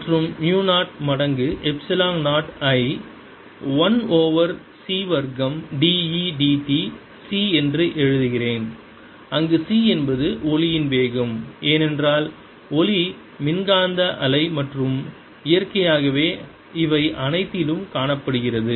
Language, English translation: Tamil, and let me write mu zero times epsilon zero, as one over c square: d, e, d t, where c is the speed of light, because light is electromagnetic wave and seen naturally into all this